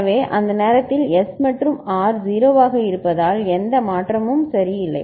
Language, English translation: Tamil, So, that time S and R are 0 so no change ok